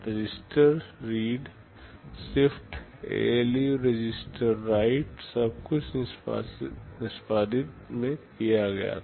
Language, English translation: Hindi, The register read, shift, ALU, register write everything was done in execute